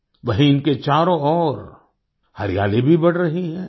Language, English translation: Hindi, At the same time, greenery is also increasing around them